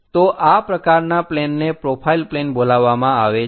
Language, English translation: Gujarati, So, such kind of planes are called profile planes